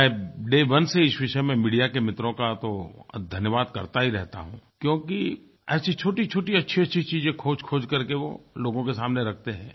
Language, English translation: Hindi, From day one, I have thanked our media friends since they have brought many such small and good success stories before the people